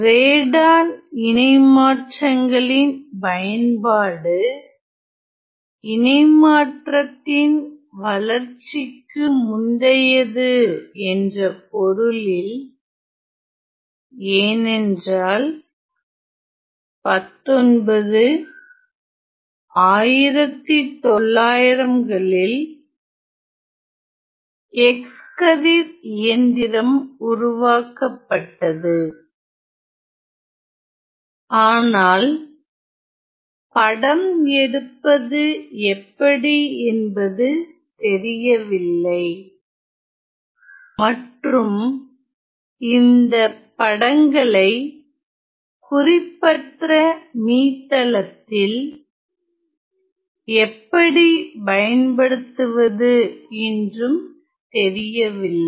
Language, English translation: Tamil, In the sense that the application of Radon transforms preceded the development of the transform, it was because that in 19 early 1900’s an X ray machine was developed and it was not known how to take images and how to use those images for an arbitrary hyper plane